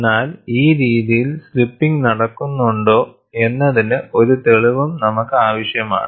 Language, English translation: Malayalam, But we need, also need to have an evidence whether slipping action takes in this fashion